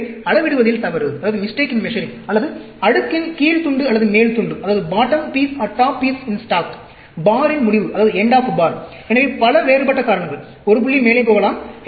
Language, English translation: Tamil, So, mistake in measuring, or bottom piece, or top piece in stack, end of bar; so many different reasons; one point may be going up